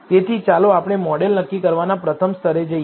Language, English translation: Gujarati, So, let us look at the first level of model assessment